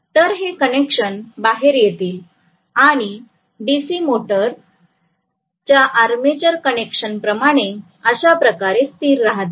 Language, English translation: Marathi, So these connections will come out and it will rest like armature connections in a DC motor